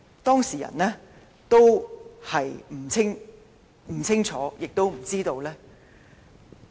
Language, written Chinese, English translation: Cantonese, 當事人對此不會清楚，也不會知道。, The affected electors have no idea whether these will happen